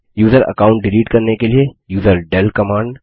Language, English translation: Hindi, userdel command to delete the user account